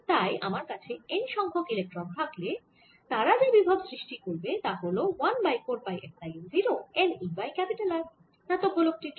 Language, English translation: Bengali, so if i have n electrons, small n electrons, the potential they are going to give rise to is going to be one over four, pi, epsilon zero, n, e over capital r for the metallic sphere